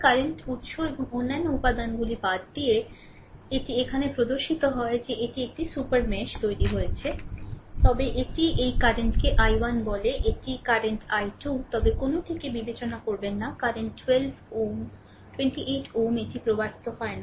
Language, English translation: Bengali, By excluding the current source and the other elements, this is at it is shown in that this there is a super mesh is created, right, but it is your what you call this current is i 1 this current is i 2, right, but do not consider a same current 12 ohm 28 ohm this is flowing no not like that